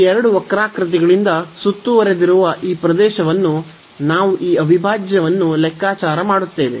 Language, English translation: Kannada, So, that is the area bounded by these 3 curves, we can compute this integral